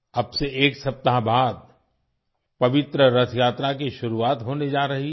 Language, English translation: Hindi, The holy Rath Yatra is going to start after a week from now